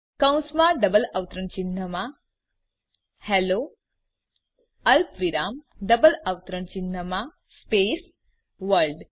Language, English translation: Gujarati, Within parentheses in double quotes Hello comma in double quotes space World